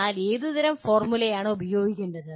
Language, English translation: Malayalam, But what kind of formula to be used